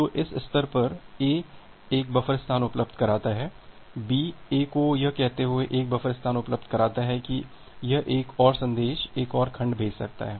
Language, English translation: Hindi, So, at this stage, A makes one buffer space available, B makes 1 buffer space available to A saying that it can send one more message, one more segment